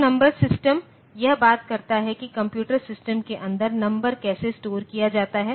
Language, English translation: Hindi, So, number system, this talks about how a number is stored inside the computer system